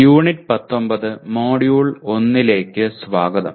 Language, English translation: Malayalam, Greetings and welcome to Unit 19 of Module 1